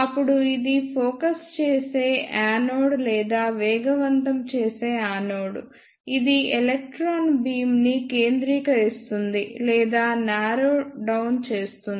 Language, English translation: Telugu, Then this is the focusing anode or accelerating anode, which focuses the electron beam or narrow downs the electron beam